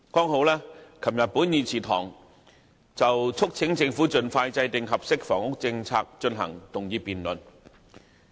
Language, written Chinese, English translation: Cantonese, 昨天本會正好就促請政府盡快制訂合適的房屋政策進行議案辯論。, It was just yesterday that this Council held a motion debate urging the Government to formulate an appropriate housing policy expeditiously